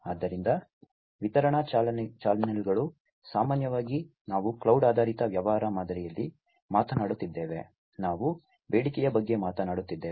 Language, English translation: Kannada, So, distribution channels typically, we are talking about in a cloud based business model, we are talking about on demand